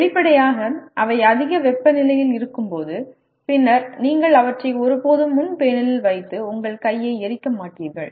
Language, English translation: Tamil, Obviously they will be at high temperature and then you never put them on the front panel and burn your hand